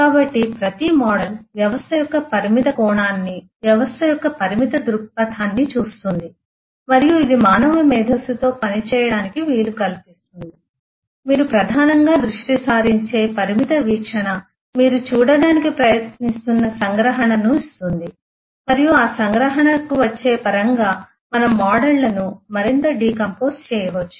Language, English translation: Telugu, So, every model looks at the limited aspect of the system, a limited view of the system and that is what makes it manageable by the human mind to work with and that limited view that you focus on primarily gives you the abstraction that you are trying to look at and the terms of arri arriving at that abstraction we can decompose the models further